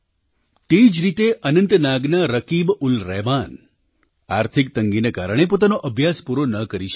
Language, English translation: Gujarati, Similarly, RakibulRahman of Anantnag could not complete his studies due to financial constraints